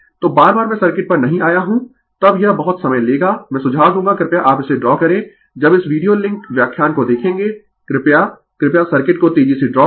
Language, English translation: Hindi, So, again and again I have not come to the circuit then it will consume lot of time, I will suggest please draw this when you look this look into this videolink lecture, you pleaseyou please draw the circuit faster